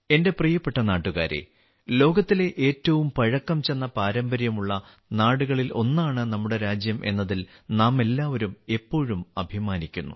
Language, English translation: Malayalam, My dear countrymen, we all always take pride in the fact that our country is home to the oldest traditions in the world